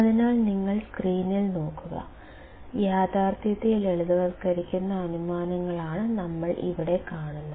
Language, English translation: Malayalam, So, if you come to the screen; what we see here is realistic simplifying assumptions